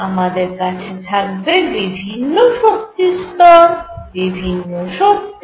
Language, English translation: Bengali, I am going to have different energy levels, different energies